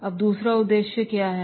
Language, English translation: Hindi, Now, what is the second objective